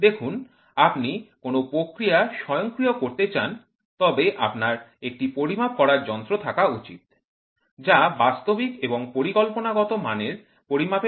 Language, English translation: Bengali, See if you want to automate a process, you should have a measurement device which requires the measured discrepancy between the actual and the desired performance